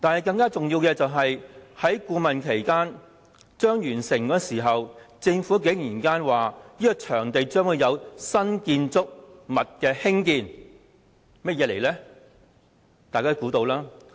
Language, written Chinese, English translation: Cantonese, 更重要的是，在顧問期即將完結之際，政府竟然向外公布，該場地將會興建新建築項目。, More importantly when the consultancy period almost ended the Government surprisingly announced that the site would be used for another new project